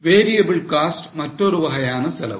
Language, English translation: Tamil, That is a definition of variable cost